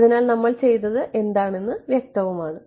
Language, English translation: Malayalam, So, it is clear what we did right